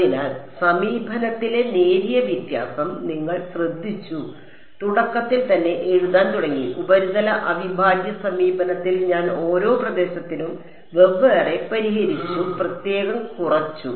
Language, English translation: Malayalam, So, you notice the slight difference in approach is started write in the beginning, in the surface integral approach I went for each region separately solved separately subtracted